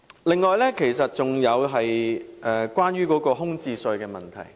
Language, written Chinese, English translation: Cantonese, 此外，是有關空置稅的問題。, Furthermore it is the issue of vacancy tax